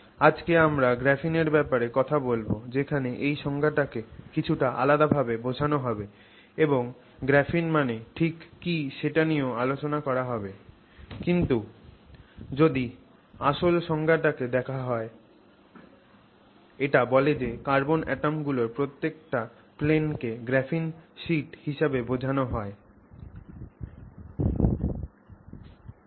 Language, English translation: Bengali, Today when we talk of graphene we have a little variation on this definition and there is a fair bit of discussion on exactly what should be called graphene but if you look at the original definition I mean every single plane of carbon atoms would be referred to as a graphene sheet